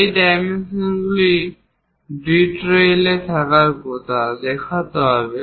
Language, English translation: Bengali, These dimensions supposed to be in detail one has to show